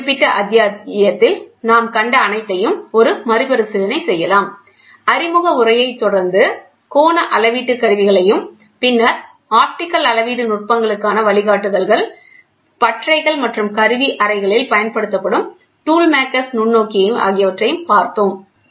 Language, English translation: Tamil, To recap what all we saw in this particular chapter; we saw an introduction angle measurement instruments, then guidelines to optical measuring techniques, tool makers microscope which is used in workshops and tool rooms